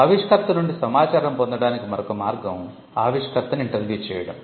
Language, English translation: Telugu, Another way to get information from the inventor is, by interviewing the inventor